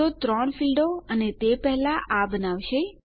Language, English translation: Gujarati, So, three fields and that will create that first